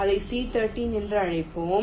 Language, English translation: Tamil, lets call it c three